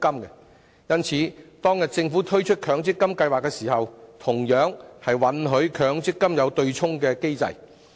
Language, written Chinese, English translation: Cantonese, 因此，當政府推出強積金計劃時，便同樣允許強積金設有對沖機制。, For this reason when the Government launched the MPF System it similarly allowed an offsetting mechanism for MPF